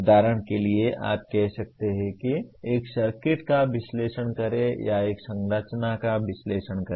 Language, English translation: Hindi, For example you can say analyze a circuit which is or analyze a structure